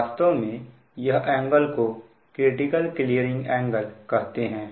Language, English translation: Hindi, actually this angle is known as that critical clearing angle